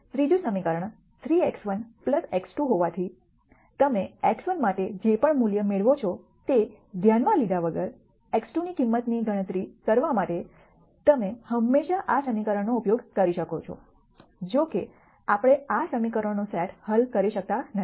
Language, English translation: Gujarati, The third equation since it is 3 x 1 plus x 2 irrespective of whatever value you get for x 1 you can always use this equation to calculate the value for x 2; however, we cannot solve this set of equations